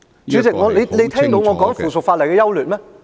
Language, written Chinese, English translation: Cantonese, 主席，你有聽到我在說附屬法例的優劣嗎？, President have you heard me speak on the pros and cons of the subsidiary legislation?